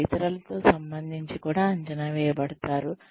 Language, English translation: Telugu, You are also assessed, in relation to others